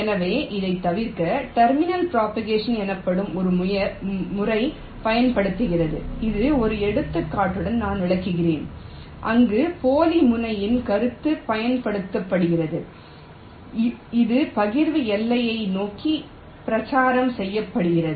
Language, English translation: Tamil, ok, so to avoid this, a method called terminal propagation is used, which i shall be illustrating with an example, where the concept of a dummy terminal is used which is propagated towards the partitioning boundary